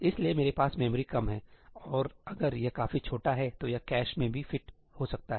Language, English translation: Hindi, So, I have lesser memory and if it is small enough then it might even fit in the cache